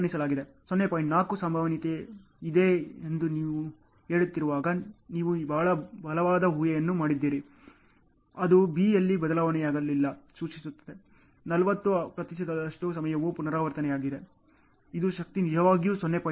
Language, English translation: Kannada, 4 probability it implies whenever there is a change in B, 40 percent of the time A will repeat which implies the strength is really greater than 0